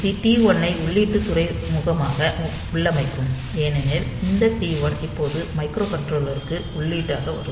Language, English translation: Tamil, So, this will make this T 1 configured as input port, because this T 1 will be coming as input to the microcontroller now